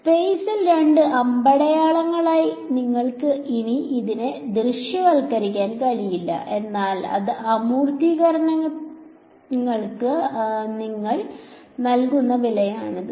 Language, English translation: Malayalam, You can no longer visualize it as two arrows in space ok, but that is the price you are paying for some abstraction